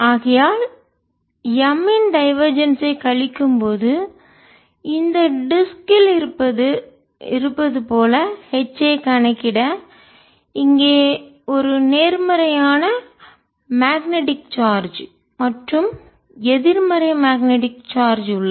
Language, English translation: Tamil, therefore, when i take minus of divergence of m, it is as if on this disk for calculation of h there is a positive magnetic charge here, negative magnetic charge here and kind of field is give rise to, would be like the electric field